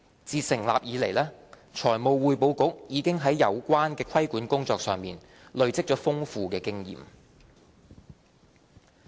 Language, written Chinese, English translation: Cantonese, 自成立以來，財務匯報局已在有關的規管工作上累積了豐富的經驗。, Since its establishment the Financial Reporting Council has accumulated extensive experience in undertaking the regulatory work concerned